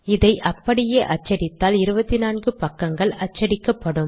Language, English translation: Tamil, But if you try to print out, it will produce 24 pages